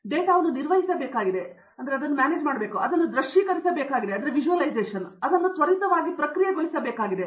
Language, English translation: Kannada, Now I have to handle this data, I need to visualize it, I need to processes it quickly